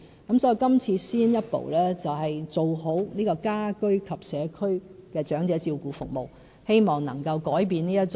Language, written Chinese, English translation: Cantonese, 因此，這次先一步做好家居及社區的長者照顧服務，希望能夠改變現狀。, I have thus decided to improve the home care and community care services for the elderly as the first step towards reversing the current situation